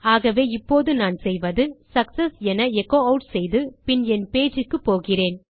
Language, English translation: Tamil, So now what Ill do is echo out success and Ill go back to my page